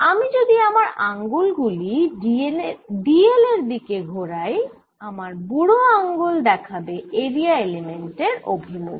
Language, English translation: Bengali, if i turn my fingers towards the l, then thumbs gives me the area element direction